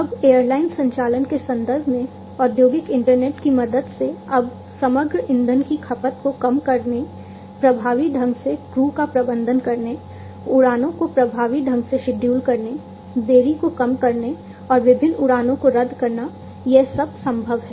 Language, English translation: Hindi, Now, in terms of airline operations, with the help of the industrial internet it is now possible and it has become possible, to reduce the overall fuel consumption, to effectively manage the crews, to schedule the flights effectively, and to minimize delays, and cancellations of different flights